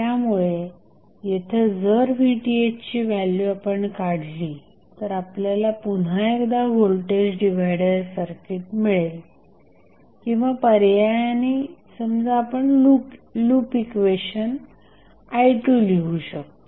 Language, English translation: Marathi, So, here if you find out the value of Vth what you get you will get again the voltage divider circuit or alternatively you can write the loop equation say I2